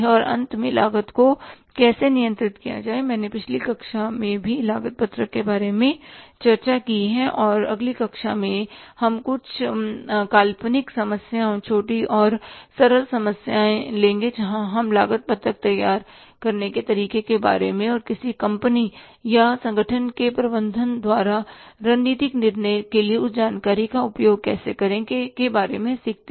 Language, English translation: Hindi, I have discussed in the previous class also about the cost sheet and in the next class we will have some hypothetical problems, small and simple problems where we will learn about how to prepare the cost sheet and how to use that information for the strategic decision making by the management of a company or an organization